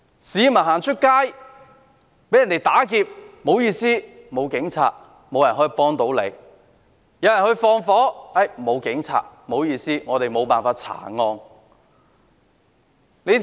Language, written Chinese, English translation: Cantonese, 市民出街被打劫，不好意思，沒有警察，沒有人可以幫助他們；有人縱火，沒有警察，不好意思，沒有辦法查案。, When people are robbed in the street sorry there is no police officer . No one can help them . When someone has committed arson there is no police officer sorry